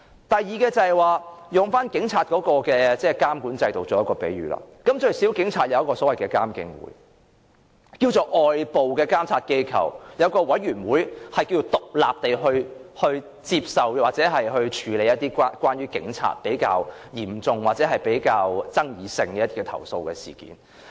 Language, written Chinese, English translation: Cantonese, 第二，以警察的監管制度作為比喻，最少警察有《獨立監察警方處理投訴委員會條例》，可稱作有一個外部監察機構，有委員會可以獨立接受或處理關於警察比較嚴重或比較富爭議性的投訴事件。, Second again if we look at the Polices monitoring system at least they are subject to the Independent Police Complaints Council Ordinance . One can say that there is an external monitoring body under which its members can independently receive or handle complaints about serious or controversial issues related to the Police